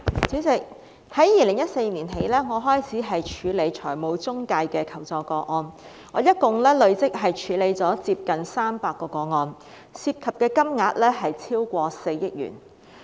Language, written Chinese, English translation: Cantonese, 主席，我從2014年起開始處理財務中介的求助個案，累積處理了接近300宗，涉及金額超過4億元。, President since 2014 I have been handling requests for assistance regarding financial intermediaries and have handled a total of nearly 300 cases involving more than 400 million